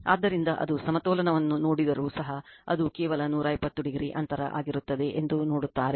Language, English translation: Kannada, So, even if you do it just see the balance so, you will see that it will be just 120 degree apart right